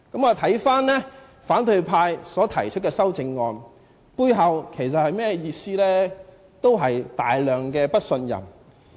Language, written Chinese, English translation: Cantonese, 看回反對派提出的修正案，背後仍然是極度的不信任。, The amendments proposed by the opposition party show extreme distrust